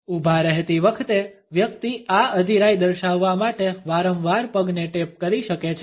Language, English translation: Gujarati, While standing a person may repeatedly tap a foot to indicate this impatience